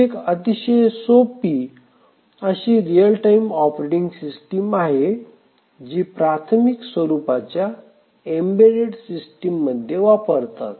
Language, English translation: Marathi, So, this is the simplest real time operating system run on the most elementary embedded systems